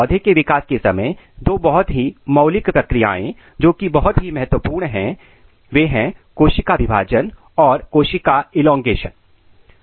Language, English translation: Hindi, So, during for the growth of the plant the two major fundamental process which is very important is cell division and cell elongation